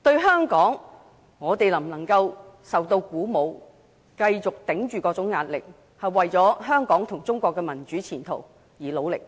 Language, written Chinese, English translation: Cantonese, 香港能否受到鼓舞，繼續忍受各種壓力，為香港及中國的民主前途而努力？, Will Hong Kong people be encouraged so that we can continue to work hard for the future of democracy in Hong Kong and China despite all kinds of pressure?